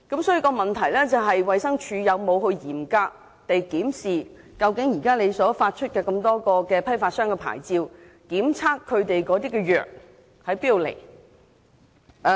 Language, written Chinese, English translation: Cantonese, 就此，衞生署究竟有否嚴格檢視現已發出的批發商牌照，檢查它們的中藥究竟從何而來？, In this connection does the Department of Health strictly inspect the current licences issued to wholesalers and check the origins of their Chinese medicines?